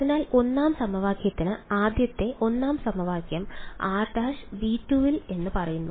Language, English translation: Malayalam, So, for the 1st equation where can a first 1st equation says r prime must belong to V 2 right